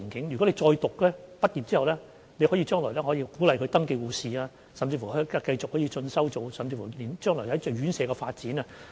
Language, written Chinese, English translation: Cantonese, 如果再進修，畢業後，將來可以成為登記護士，甚至可以繼續進修，協助院舍發展。, If they pursue their studies they can become registered nurses after graduation . They can even further study to assist in the development of care homes